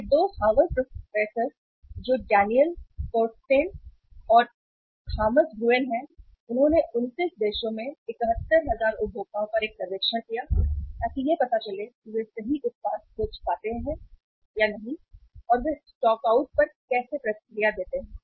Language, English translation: Hindi, These 2 Harvard professors that is Daniel Corsten and then the Thomas Gruen, they conducted a survey on 71,000 consumers across 29 countries to learn how they react to stockouts when they cannot find the precise product they are looking for right